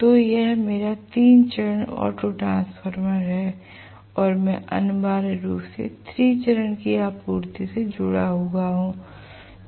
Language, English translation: Hindi, So, this is my 3 phase autotransformer and I am going to have essentially the 3 phase supply connected here